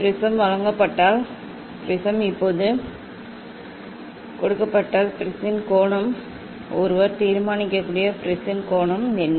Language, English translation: Tamil, if prism is given; if prism is given now, what is the angle of the prism, what is the angle of the prism that one can determine